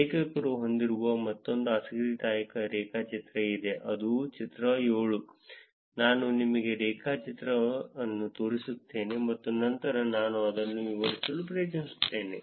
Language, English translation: Kannada, There's another interesting graph that authors have which is figure 7, which I show you the graph and then I will try to explain it